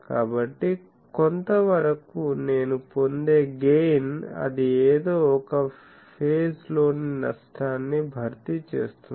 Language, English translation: Telugu, So, somewhat the gain that I get more, that somehow compensates the loss in the phase error